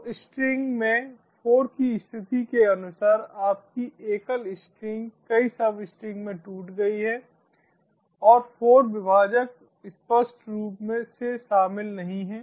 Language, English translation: Hindi, so, according to the position of four in the string, your single string has been broken down into multiple substrings and the four delimiter is obviously not included